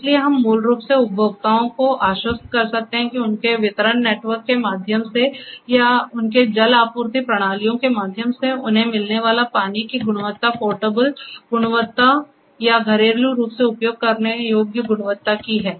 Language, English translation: Hindi, So, we can basically make the consumers assure that the water quality they are getting through their distribution network or through their water supply systems are of the portable quality or domestically usable quality